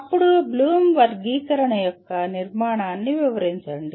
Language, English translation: Telugu, Then describe the structure of Bloom’s taxonomy